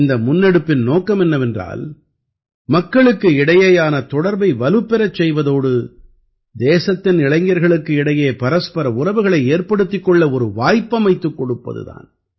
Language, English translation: Tamil, The objective of this initiative is to increase People to People Connect as well as to give an opportunity to the youth of the country to mingle with each other